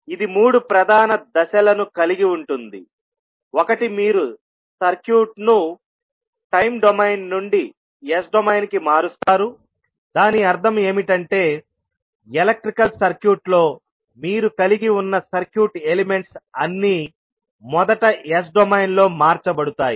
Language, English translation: Telugu, It actually involves three major steps, one is that you transform the circuit from time domain to the s domain, it means that whatever the circuit elements you have in the electrical circuit all will be first transformed into s domain